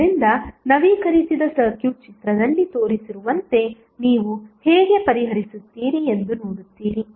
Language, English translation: Kannada, So, the updated circuit is as shown in the figure then you will see that how you will solve